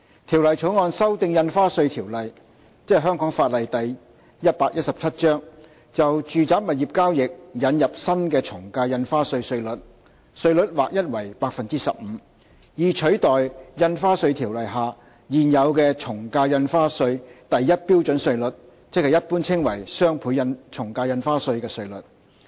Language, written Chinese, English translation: Cantonese, 《條例草案》修訂《印花稅條例》，就住宅物業交易引入新的從價印花稅稅率，稅率劃一為 15%， 以取代《印花稅條例》下現有的從價印花稅第1標準稅率，即一般稱為"雙倍從價印花稅"的稅率。, 117 to introduce a new flat rate of 15 % for the ad valorem stamp duty AVD chargeable on residential property transactions in lieu of the existing AVD rates at Scale 1 set out in the Stamp Duty Ordinance commonly known as the doubled ad valorem stamp duty DSD rates